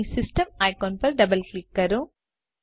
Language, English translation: Gujarati, Once here, double click on the System icon